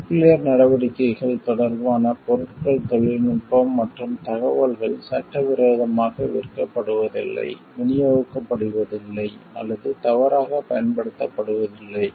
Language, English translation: Tamil, Materials technology and information regarding nuclear activities are not illegally sold, or distributed, or otherwise misused